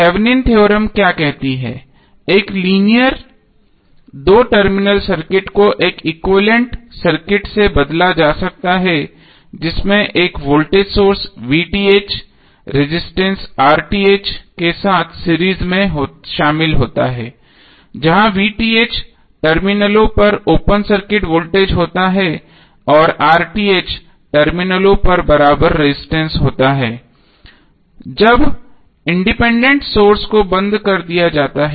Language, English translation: Hindi, So what does Thevenin’s theorem says: A linear two terminal circuit can be replaced by an equivalent circuit consisting of a voltage source VTh In series with resistor RTh where VTh is the open circuit voltage at the terminals and RTh is the equivalent resistance at the terminals when the independent sources are turned off